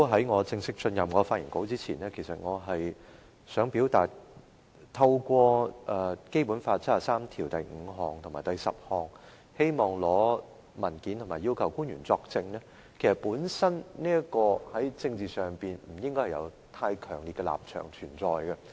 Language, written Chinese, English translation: Cantonese, 我在正式發言前想表達，議員根據《基本法》第七十三條第五及十項提出議案，要求官員作證及出示文件，本身在政治上不存在太強烈的立場。, Before I formally begin my speech I would like to convey that the act of a Member putting forward a motion to ask officials to testify and produce documents under Articles 735 and 7310 of the Basic Law does not represent an overwhelmingly strong political view